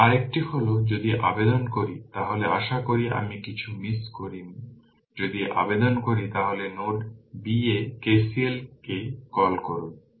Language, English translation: Bengali, Now, another one is if you apply your what you hope I have not missed anything if you apply your what you call KCL at node b